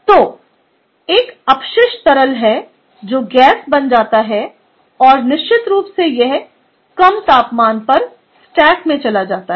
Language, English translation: Hindi, ok, so this is waste liquid which becomes gas and goes to the stack at a lower temperature